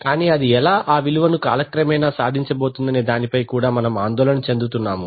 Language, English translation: Telugu, But we are also concerned with how it, how it is going to achieve that over time